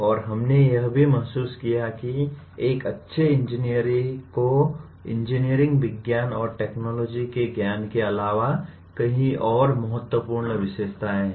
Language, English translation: Hindi, And we also realized that there are many important characteristics of a good engineer, besides having sound knowledge of engineering sciences and technologies